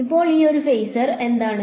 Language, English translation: Malayalam, So, what is a phasor now